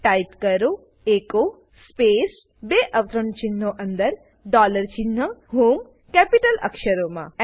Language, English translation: Gujarati, Type echo space within double quotes dollar sign HOME Press Enter